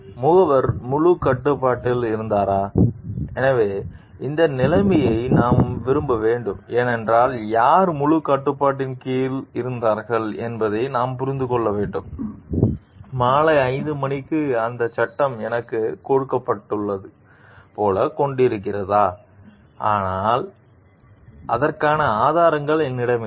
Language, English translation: Tamil, Was the agent in full control, so we need to like this situation given we need to understand who was under the full control like, do you whether like the it is given like the act was given to me at 5 p m so, I did not have resources for it